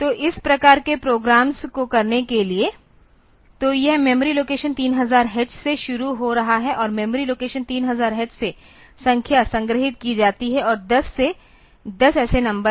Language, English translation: Hindi, So, for doing this type of programs; so, so it is starting at memory location 3000 h from memory location 3000 h, the number are stored and there are 10 such numbers